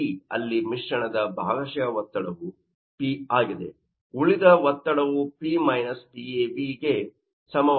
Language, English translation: Kannada, So, they are mixture partial pressure is p so remaining pressure that will be equal to P – Pav